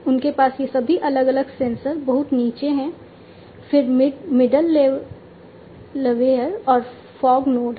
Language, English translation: Hindi, They have all these different sensors at the very bottom, then there is the middleware and the fog node